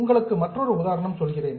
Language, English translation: Tamil, I will just give you an example